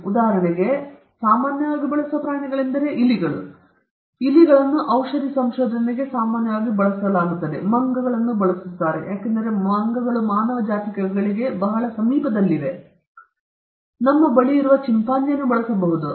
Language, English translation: Kannada, See, for instance, for example, some of the animal which are very commonly used are mice, then rats are used very commonly by pharmaceutical research; monkeys are being used, because they are very close to the human species, but can we use chimpanzees which are very close to us